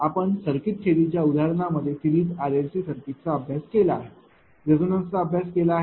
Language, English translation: Marathi, In your circuit theory problem that series r l c circuit you have studied you have studied you have studied also the resonance